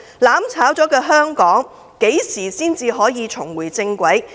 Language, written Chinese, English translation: Cantonese, "攬炒"後的香港，何時才可重回正軌？, How long will it take for Hong Kong to get back on track after being burnt together?